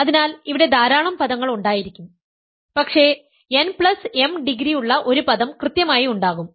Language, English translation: Malayalam, So, they will be lots of terms, but there will be exactly one term with degree n plus m